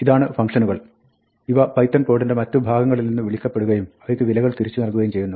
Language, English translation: Malayalam, These are functions, which are called from other pieces of python code and return values to them